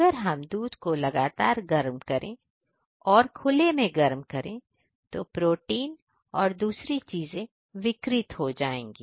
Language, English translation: Hindi, Right If we heat continuously and in an open air, then the products different protein and other things are denatured